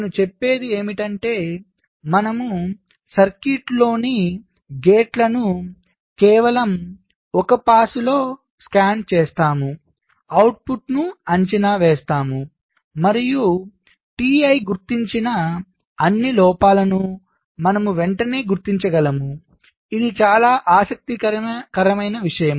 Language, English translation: Telugu, what i am saying is that i scan the gates in the circuit just one pass, i evaluate the output and i can immediately determine all faults detected by t